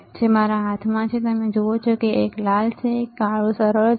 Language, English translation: Gujarati, Which is in my hand probes you see, one is red, one is black easy